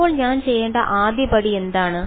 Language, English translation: Malayalam, So, what is the first step I should do